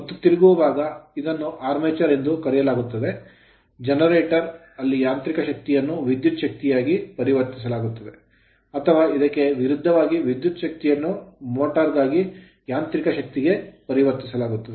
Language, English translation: Kannada, And rotating part it is called the armature right, where mechanical energy is converted into electrical energy for generator or conversely electrical energy into mechanical energy for motor